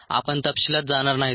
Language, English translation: Marathi, um, let's not get into the details